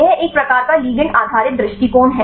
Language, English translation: Hindi, This is a kind of ligand based approach